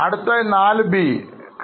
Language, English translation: Malayalam, And what about 4B